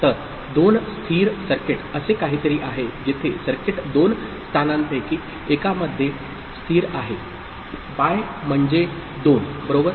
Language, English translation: Marathi, So, bistable circuit is something where the circuit is stable in one of the two positions; bi stands for 2, right